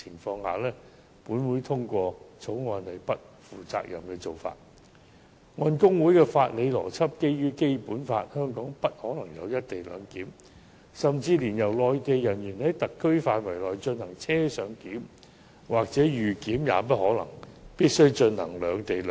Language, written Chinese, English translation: Cantonese, 按大律師公會的法理邏輯，基於《基本法》，香港不可能有"一地兩檢"，甚至連內地人員在特區範圍內進行"車上檢"或"預檢"也不可能，而必須進行"兩地兩檢"。, Based on the jurisprudential logic of HKBA the Basic Law precludes the implementation of not just a co - location arrangement in Hong Kong but even on - board clearance or pre - clearance conducted by Mainland officials within the HKSAR leaving a separate - location arrangement the only option